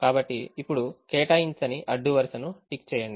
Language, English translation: Telugu, tick an unassigned row now